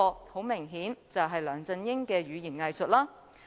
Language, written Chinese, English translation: Cantonese, 很明顯，這便是梁振英的語言"偽術"了。, Apparently that was the doublespeak of LEUNG Chun - ying